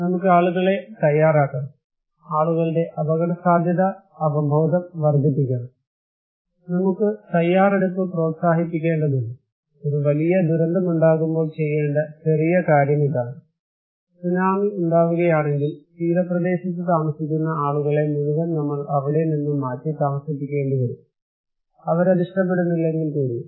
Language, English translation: Malayalam, we need to make people, increase people's risk awareness, we need to promote preparedness, small thing that if there is a big disaster, is the tsunami you have to evacuate, no other option, people who are living near the coastal side, they have to evacuate when there is a disaster, but people always do not like that